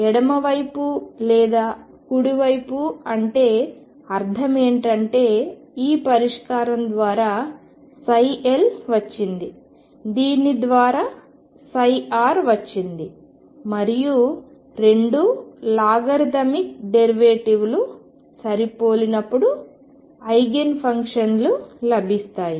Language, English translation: Telugu, While left or right I mean this solution gave me psi left this gave me psi right and then I match this when the 2 logarithmic derivatives match we have found the eigen function